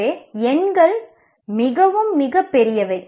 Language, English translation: Tamil, So the numbers are very, very, very huge